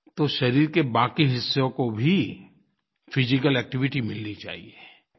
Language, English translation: Hindi, Other parts of the body too require physical activity